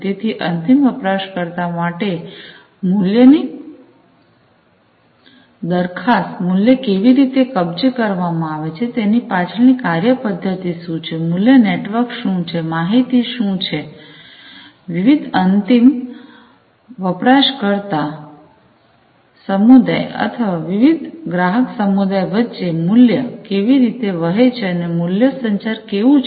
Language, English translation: Gujarati, So, to the end user what is the value proposition, how the value is captured, what is the mechanism behind it, what is the value network, how the information, is how the value are going to flow between the different groups in the end user community or the customer community, and the value communication